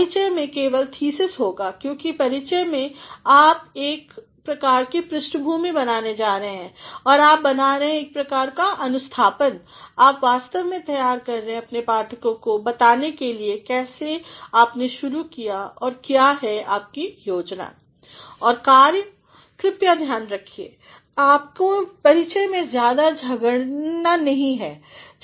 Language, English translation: Hindi, Introductions would simply have a thesis, because in the introduction you are going to create a sort of background and you are making a sort of orientation, you are actually preparing your readers are to know how you have started and what is your plan and action